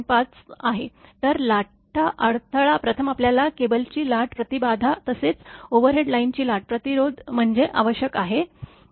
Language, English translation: Marathi, So, surge impedance first you have to compute surge impedance of the cable, as well as surge impedance of the overhead line